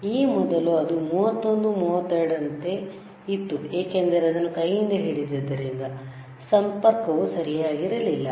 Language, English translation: Kannada, It is almost constant, earlier it was like 31, 32 because it he was holding with hand, the connection was were not proper